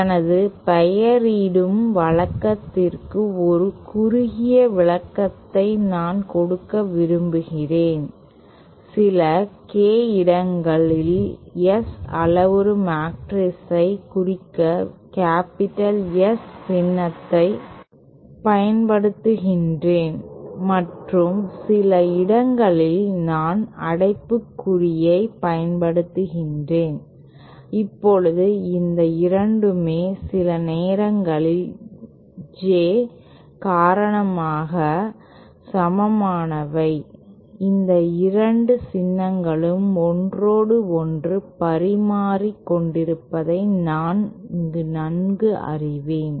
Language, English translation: Tamil, Reciprocal network S is equal to S transpose now I just want to give a short short description of my of my naming convention in some K places I am using S the capital S symbol to represent the S parameter matrix and some places I am using a bracket now both these 2 are equivalent sometimes due to the J, I am familiar with I these both these symbols interchangbly